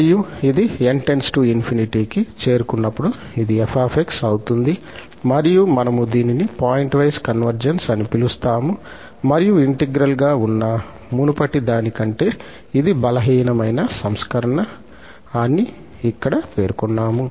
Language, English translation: Telugu, And, this goes to f as n goes to infinity and we call this a pointwise convergence and just to mention here that this is a stronger version than the earlier one which was under integral only